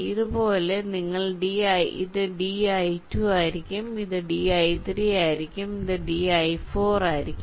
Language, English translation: Malayalam, similarly, this will be d i two, this will be d i three and this will be d i four